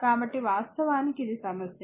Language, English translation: Telugu, So, this is the problem actually